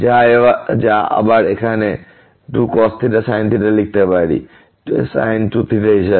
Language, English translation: Bengali, Which again we can write down here 2 times cos theta sin theta as sin 2 theta